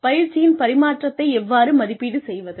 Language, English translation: Tamil, How do we evaluate the transfer of training